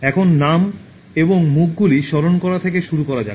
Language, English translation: Bengali, Now, let us begin with remembering names and faces